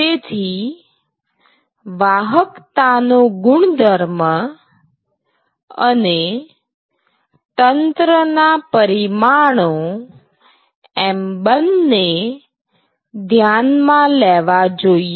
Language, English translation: Gujarati, So, it is both property of conduction and the dimensions of the system that you are looking at